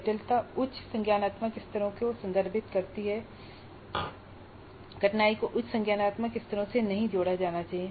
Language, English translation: Hindi, So, complexity refers to higher cognitive levels, difficulty should not be associated with higher cognitive levels